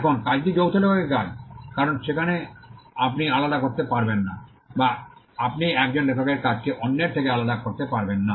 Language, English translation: Bengali, Now the work is a work of joint authorship because, there you cannot distinguish or you cannot separate the work of one author from the others